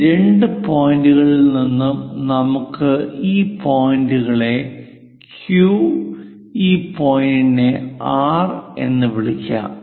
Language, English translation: Malayalam, From these two points let us call these points Q, this is R let us call R and this point as Q